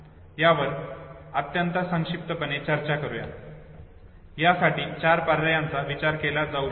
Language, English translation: Marathi, Let us discuss it very succinctly, four options can be thought of